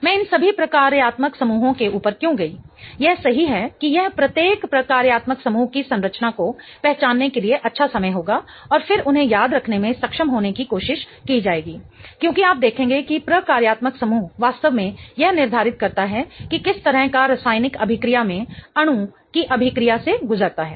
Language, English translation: Hindi, Why I went over all of these functional groups is that right now it would be a good time to recognize the structure of each and every functional group and then trying to be able to remember them because you will see that the functional group really determines what kind of reaction the molecule undergoes in a chemical reaction